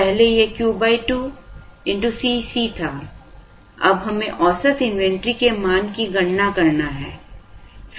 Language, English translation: Hindi, Earlier it was Q by 2 into C c, now we have to compute the value of the average inventory